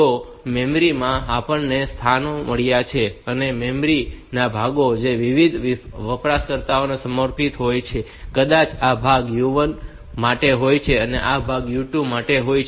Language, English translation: Gujarati, So, in the memory, we have got the locations the part the portions of memory which are dedicated to different users, may be this part is for u 1, this part is for u 2 like that